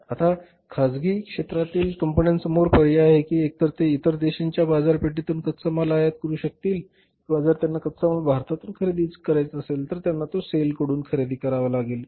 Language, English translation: Marathi, So, now the option with these private sector companies is that either they can import the raw material from the other countries markets or they have to buy the raw material from India, they have to buy it from sale